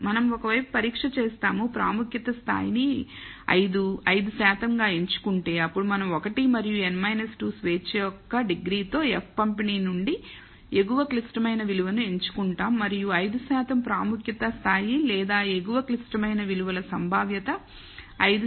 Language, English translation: Telugu, So, we do a one sided test if we choose the level of significance as 5, 5 percent then we choose the upper critical value from the F distribution with 1 and n minus 2 degrees of freedom and 5 percent level of significance or what we call the upper critical values probability is 5 percent 0